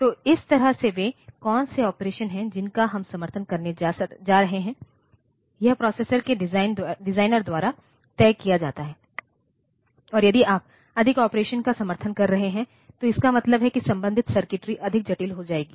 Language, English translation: Hindi, So, that way what are the operations that we are going to support, that is decided by the designer of the processor and if you are supporting more operations means the circuitry associated circuitry will become more complex